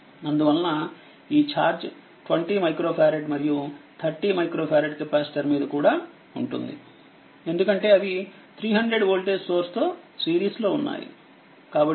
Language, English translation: Telugu, now this ah actually it will be is this is the charge on 20 micro farad and 30 micro farad capacitor because they are in series with 300 voltage source right